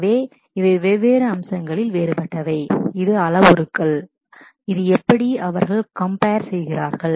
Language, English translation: Tamil, So, these are kind of the different across different features, this is parameters, this is how they compare